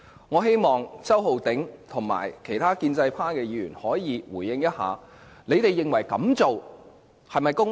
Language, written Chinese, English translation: Cantonese, 我希望周浩鼎議員及其他建制派議員可以回應一下，他們認為這樣做是否公平？, I hope that Mr Holden CHOW and other pro - establishment Members can respond to my questions and tell me whether they consider such an approach equitable